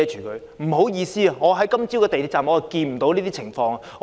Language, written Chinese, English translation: Cantonese, 不好意思，我今早在港鐵站看不到這樣的情況。, Sorry I did not see anything like this today when I was at the MTR station in the morning